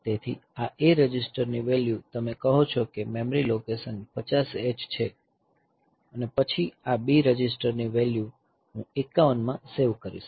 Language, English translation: Gujarati, So, this A register value you say that memory location 50 hex, and then this B register value I will be saving in 51